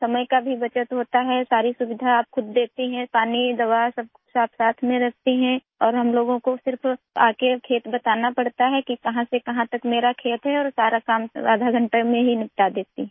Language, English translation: Hindi, Time is also saved, you look after all the facilities yourself… water, medicine, everything is kept together and we just have to come to the farm and note from where to where the farm is… and I finish the entire work within half an hour